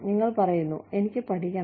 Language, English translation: Malayalam, You say, I want to learn